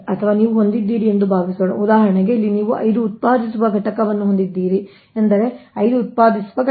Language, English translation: Kannada, or suppose you have, suppose you have, for example, here you have five generating units